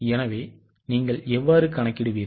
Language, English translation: Tamil, So, how will you calculate